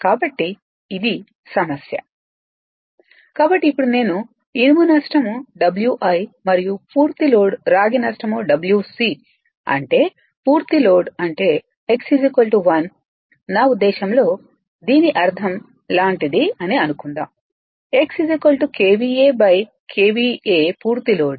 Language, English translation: Telugu, So, now I iron loss is equal to W i and full load copper loss say W c full load means that x is equal to 1 right, I mean your it is meaning is something like this right meaning is some suppose, x is equal to you write KVA by KVA full load right